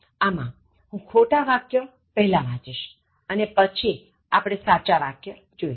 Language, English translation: Gujarati, So, I will read the incorrect one first, and then go to the correct one